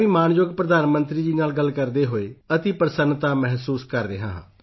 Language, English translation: Punjabi, I too am feeling extremely happy while talking to respected Prime Minister